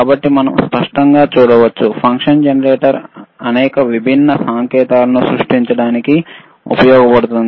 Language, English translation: Telugu, So, we can see clearly, function generator is used to create several different signals, all right